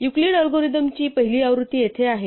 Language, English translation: Marathi, So here is the first version of EuclidÕs algorithm